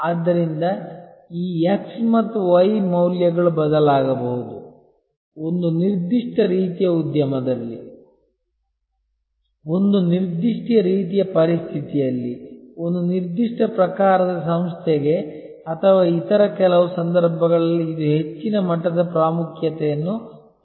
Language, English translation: Kannada, So, this x and y values may change therefore, the importance of MOST maybe more in a certain type of industry, in a certain type of situation, for a certain type of organization or in some other cases this may have a higher level of importance